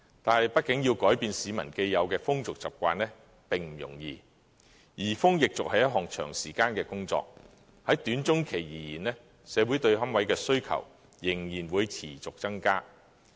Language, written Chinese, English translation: Cantonese, 但是，畢竟要改變市民既有的風俗習慣並不容易，移風易俗是一項長時間的工作，在短中期而言，社會對龕位的需求仍然會持續增加。, However it is after all not easy to change peoples established customs and habits which is a long - term task . Thus the demand for niches will continue to increase in the short and medium term